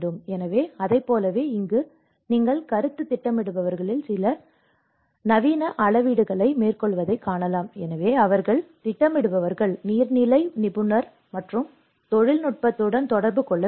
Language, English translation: Tamil, So, like that here you can see that carrying out land surveys in concept planners, so they have to relate with the planners, hydrologist and the technical